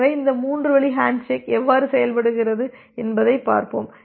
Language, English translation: Tamil, So, let us look into how this three way handshaking works